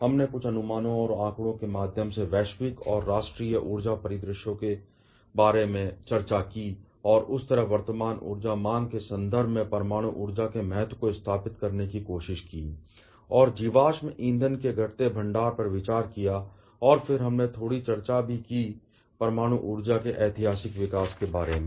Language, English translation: Hindi, We discussed about the global and national energy scenarios through some projections and stats and thereby started tried to establish the importance of nuclear power in context of the present day energy demand and also considering the depleting reserve of fossil fuels and then, we also discussed a bit about the historical development of a nuclear power